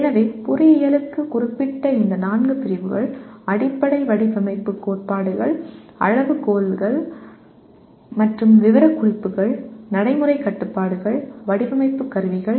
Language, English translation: Tamil, So these four categories specific to engineering are Fundamental Design Principles, Criteria and Specifications, Practical Constraints, Design Instrumentalities